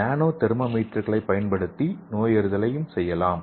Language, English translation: Tamil, And we can also diagnosis using nano thermometers okay